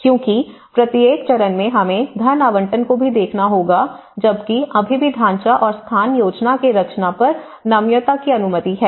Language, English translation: Hindi, Because each stage we have to look at the funding allocation as well and while still allowing flexibility on the design of skin and space plan